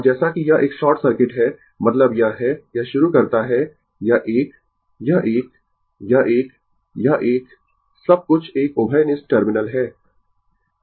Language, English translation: Hindi, And as it is a short circuit, means this is this start this one, this one, this one, this one, everything is a common terminal